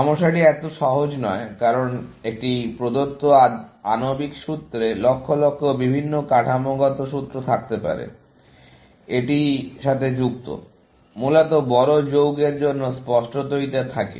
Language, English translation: Bengali, The problem is not so simple, because a given molecular formula may have millions of different structural formula, associated with it, essentially, for larger compounds, obviously